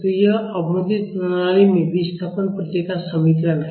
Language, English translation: Hindi, So, this is the equation of the displacement response in under damped system